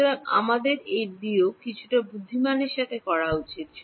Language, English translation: Bengali, So, we should do this subtraction a little bit intelligently right